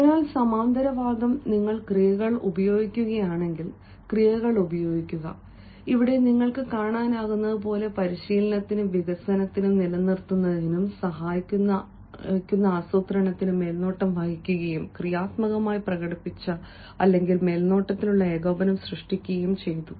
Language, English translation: Malayalam, so parallelism is, if you are using verbs, used verbs, as you can see here over saw the planning, assisted in training and development and retaining, created a positive, demonstrated, supervised, coordinated